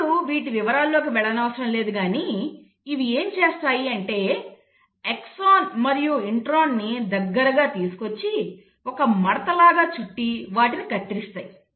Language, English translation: Telugu, Now do not get into the details of it, what they do is they bring in these intros, the exons together and the kind of loop out and they cut it